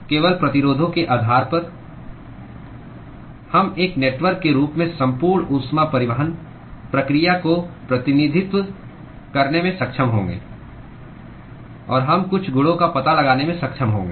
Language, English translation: Hindi, Simply based on the resistances, we will be able to represent the whole heat transport process in the form of a network and we are able to detect some properties